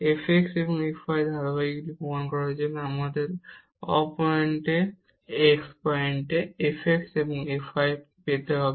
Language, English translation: Bengali, To prove the continuity of f x and f y, we need to get the f x and f y at non origin point